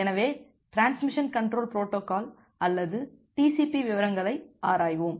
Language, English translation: Tamil, So, we are looking into the details of Transmission Control Protocol or TCP